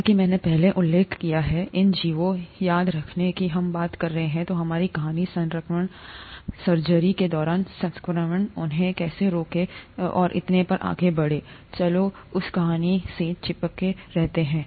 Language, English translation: Hindi, As I mentioned earlier, these organisms, remember we are talking, our story is about infection, infection in during surgeries, how to prevent them and so on so forth, let’s stick to that story